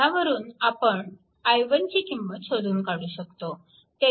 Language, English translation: Marathi, So, from that we can find out what is i 1